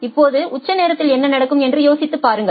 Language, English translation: Tamil, Now, just think of what will happen at the peak hours